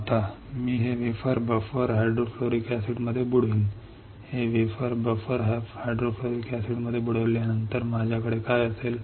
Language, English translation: Marathi, Now, I will dip this wafer into the buffer hydrofluoric acid, on dipping this wafer in buffer hydrofluoric acid what will I have